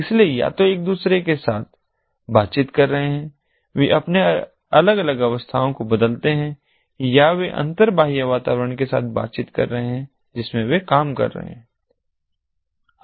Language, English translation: Hindi, so either they are interacting with each other they change their different states or they are interacting with the inter external environment in which they are operating